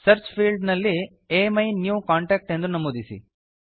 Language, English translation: Kannada, In the Search field, enter AMyNewContact